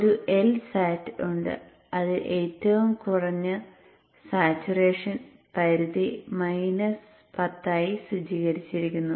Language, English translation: Malayalam, There is a L sat, there is a lower saturation limit, set it to minus 10